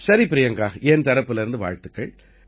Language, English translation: Tamil, Well, Priyanka, congratulations from my side